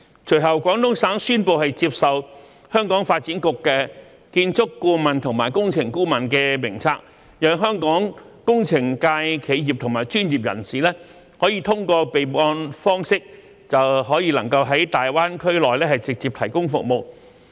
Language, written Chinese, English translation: Cantonese, 隨後，廣東省宣布接受香港發展局的建築顧問和工程顧問名冊，讓香港工程界企業和專業人士通過備案方式便可在大灣區內直接提供服務。, Subsequently Guangdong Province announced its acceptance of the two lists of architectural and engineering consultants of the Development Bureau of Hong Kong thereby allowing Hong Kong engineering construction consultant enterprises and professionals to directly provide services in GBA through a registration system